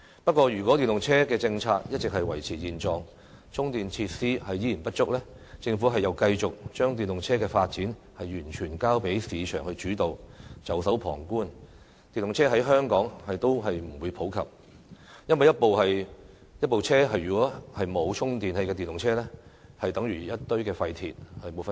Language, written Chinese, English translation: Cantonese, 不過，如果電動車的政策一直維持現狀，充電設施依然不足，政府又繼續把電動車的發展完全交給市場主導，袖手旁觀，電動車在香港也不會普及，因為一部無法充電的電動車與一堆廢鐵沒有分別。, However if the policies on EVs maintain the status quo―charging facilities remain inadequate and the Government keeps holding a market - driven principle for the development of EVs and standing aside with folded arms―EVs will never be popular in Hong Kong . It is because an EV that cannot be charged is no different from a heap of scrap iron